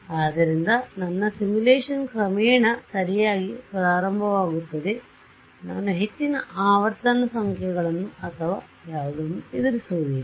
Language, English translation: Kannada, So, my simulation starts very gradually right I do not get encounter very high frequency numbers or whatever right